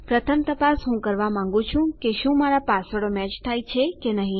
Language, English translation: Gujarati, The first check I want to do is to see if my passwords match